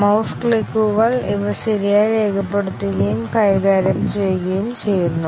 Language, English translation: Malayalam, Mouse clicks; are these properly recorded and handled